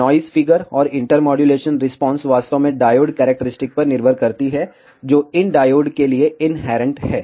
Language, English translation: Hindi, Noise figure and intermodulation response actually depends on the diode characteristics, which are inherent to these diodes